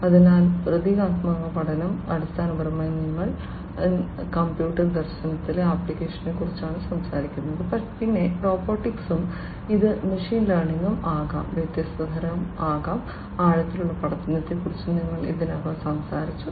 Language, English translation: Malayalam, So, symbolic learning, basically, we are talking about applications in computer vision, then, robotics and this can be machine learning, can be of different types; we have already talked about deep learning